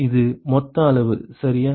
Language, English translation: Tamil, This is total quantity right